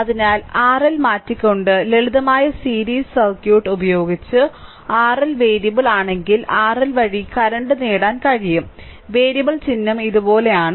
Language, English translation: Malayalam, So, using the simple series circuit by just changing R L, we can get the current through R L’ if it is if R L is a variable; variable symbol is like this, right